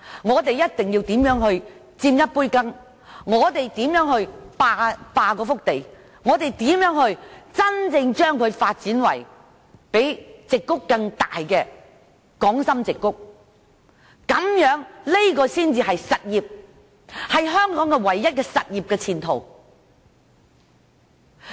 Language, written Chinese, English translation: Cantonese, 我們一定要設法分一杯羹、霸一幅地，真真正正把該處發展為較加州矽谷更大的港深矽谷，這才是實業，才是香港唯一的前途。, Not again . We must get a share of it take up a piece of land and truly develop it into the Hong Kong - Shenzhen Silicon Valley which will be bigger than the Silicon Valley in California . That is real business and it is the only way forward for Hong Kong